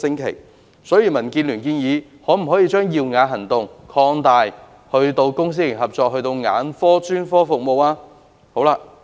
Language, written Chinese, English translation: Cantonese, 因此，民建聯建議將"耀眼行動"擴大至公私營合作的眼科專科服務。, Hence the Democratic Alliance for the Betterment and Progress of Hong Kong has proposed to extend the Programme to cover ophthalmic specialist services under PPP